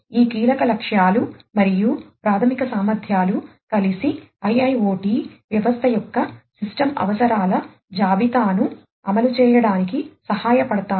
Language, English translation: Telugu, So, these key objectives plus the fundamental capabilities together would help in driving the listing of the system requirements of the IIoT system to be deployed